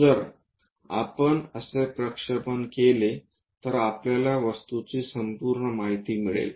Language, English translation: Marathi, If we do such kind of projections, the complete information about the object we are going to get